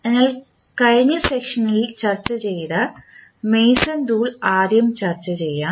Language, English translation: Malayalam, So, let us discuss first the Mason’s rule which we were discussing in the last session